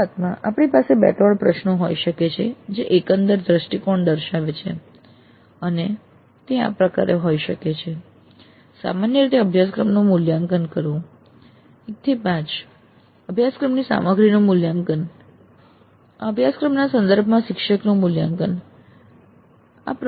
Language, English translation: Gujarati, Then initially we can have two three questions which elicit the overall view and that can be like rate the course in general 1 to 5 rate the course content rate the instructor with reference to this course